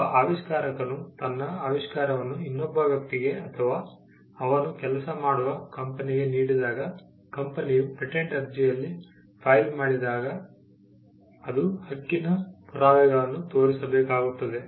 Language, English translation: Kannada, When an inventor assigns his invention to another person, say the employer or the company where he works, then the company, when it files in patent application, it has to show the proof of right